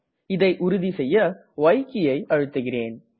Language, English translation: Tamil, I will confirm this by entering y